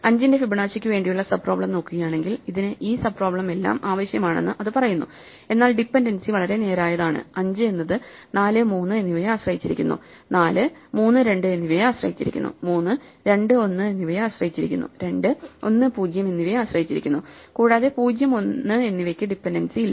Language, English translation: Malayalam, If we look at the sub problem for Fibonacci of 5, for example, it says that it requires all these sub problem but the dependency is very straightforward; 5 depends on 4 and 3; 4 depends on 3 and 2; 3 depends on 2 and 1; 2 depends on 1 and 0; and 0 and 1 have no dependencies